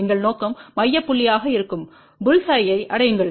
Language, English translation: Tamil, Our objective is to reach bulls eye which is the central point